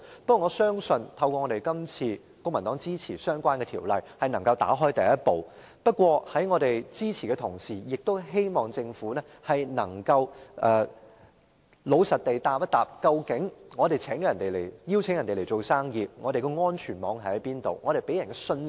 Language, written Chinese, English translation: Cantonese, 不過，我相信透過這次公民黨支持相關條例，能夠邁開第一步，但在我們給予支持的同時，亦希望政府能夠老實回答：我們邀請別人來做生意，那究竟我們是否能提供安全網，以堅定投資者的信心？, Yet I trust that the support rendered to the Bill by the Civic Party today will mark a first step towards positive outcomes . While giving our support to the Bill we do hope that the Government can give an honest answer to this question when we invite foreign entrepreneurs to do business in Hong Kong can we put in place a safety net to reassure investors?